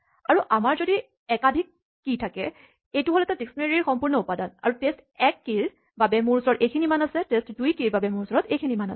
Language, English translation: Assamese, And if we have multiple keys then essentially this is one whole entry in this dictionary, and for the key test 1, I have these values; for the key test 2, I have these values